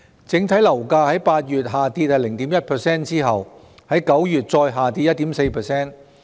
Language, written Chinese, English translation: Cantonese, 整體樓價在8月下跌 0.1% 後，於9月再下跌 1.4%。, After the drop of 0.1 % in August overall property prices further dropped 1.4 % in September